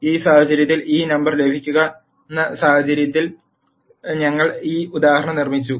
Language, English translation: Malayalam, In this case, we have constructed this example in such a way that we get this number